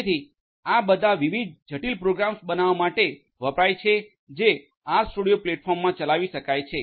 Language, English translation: Gujarati, So, these together are used in order to build different complex programs that could be executed in this RStudio platform